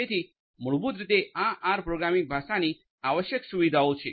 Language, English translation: Gujarati, So, these are basically the essential features of this R programming language